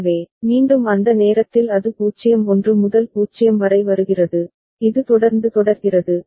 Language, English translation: Tamil, So, again at that time it is coming from 0 1 to 0 and this is the way it continues ok